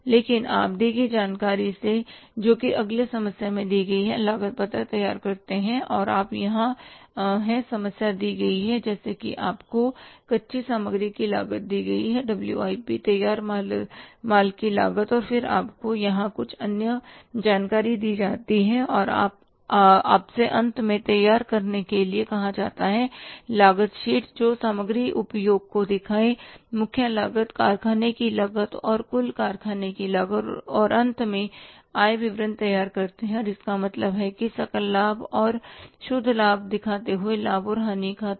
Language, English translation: Hindi, So here you are given the problem like you are given the cost of raw material, WIP cost of finished goods and then you are given some other information here and you are asked finally prepare cost sheet showing material consumed prime cost, factory cost incurred and total factory cost and finally prepare the income statement it means the profit and loss account showing gross profit and net profit